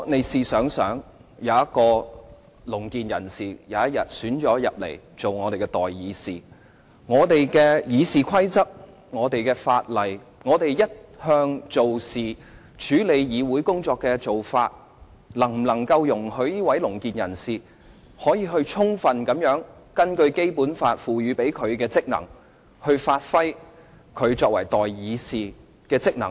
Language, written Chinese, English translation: Cantonese, 試想想，如果有一位聾健人士當選為代議士，我們的《議事規則》、法例和我們一向處理議會工作的做法，能否容許該位聾健人士充分根據《基本法》賦予他的職能，發揮他作為代議士的職能呢？, Suppose a deaf person is elected a representative of the people can our Rules of Procedure legislation and conventional practices of handling the affairs of the legislature permit the deaf person to fully perform his functions under the Basic Law and as a representative of the people?